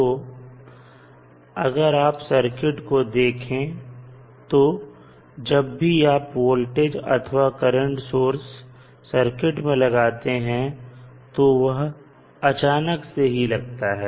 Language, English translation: Hindi, So, in the circuit if you see, when you apply the voltage or current source it is applied suddenly